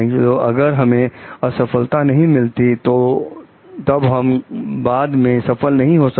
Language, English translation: Hindi, So, if we are not having failures, then we cannot have success later on